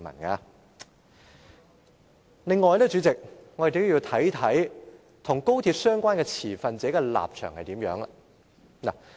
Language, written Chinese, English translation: Cantonese, 此外，代理主席，我們也要看看與高鐵相關的持份者的立場。, Moreover Deputy President we must look at the standpoints of the relevant stakeholders of the Express Rail Link XRL